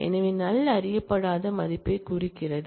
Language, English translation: Tamil, So, the null signifies an unknown value